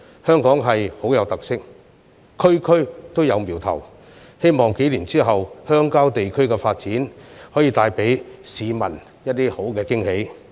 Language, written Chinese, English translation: Cantonese, 香港是一個很有特色的地方，每一區均有瞄頭，希望數年後的鄉郊地區發展能為市民帶來驚喜。, Hong Kong is such a special place where every district has its own distinctive features and I hope that our rural development will bring some pleasant surprise to the public a few years later